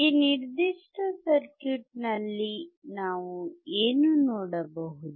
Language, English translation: Kannada, What we can see in this particular circuit